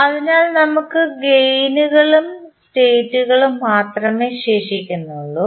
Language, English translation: Malayalam, So, we are left with the only gains and the states